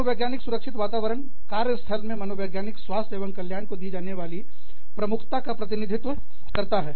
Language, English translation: Hindi, Psychological safety climate represents, the priority given to psychological health and well being, in the workplace